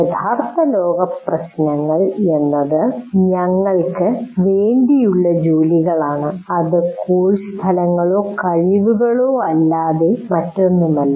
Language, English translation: Malayalam, Now we are saying that real world problems are tasks for us are nothing but course outcomes or competencies